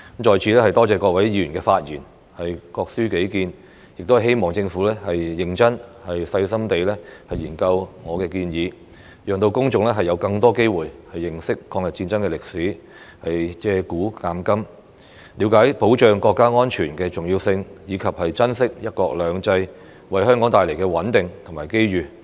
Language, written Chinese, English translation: Cantonese, 在此多謝各位議員發言、各抒己見，亦希望政府認真、細心地研究我的建議，讓公眾有更多機會認識抗日戰爭的歷史，借古鑒今，了解保障國家安全的重要性，以及珍惜"一國兩制"為香港帶來的穩定和機遇。, I would like to thank Members for speaking up and expressing their views . I also hope that the Government will seriously and carefully study my proposal so that the public will have more opportunities to learn about the history of the War of Resistance and through learning from the past the public will understand the importance of safeguarding national security and cherishing the stability and opportunities brought to Hong Kong by one country two systems